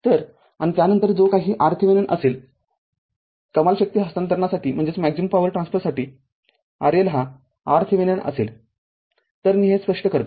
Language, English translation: Marathi, So, and then you whatever R Thevenin you get for maximum power transfer R L will be is equal to R Thevenin; so, let me clear it